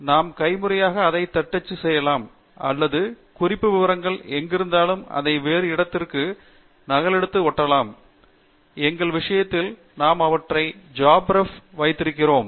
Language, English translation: Tamil, We can either type it out manually or we could copy paste it from some other location where we have the reference information; in our case, we have them in JabRef